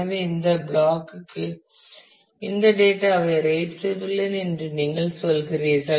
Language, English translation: Tamil, So, you are saying that I have written this data to this block written this data to this block